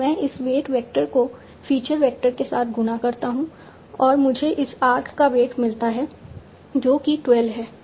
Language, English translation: Hindi, So I multiply this weight vector with the feature vector and I obtain the weight of this arc that is 12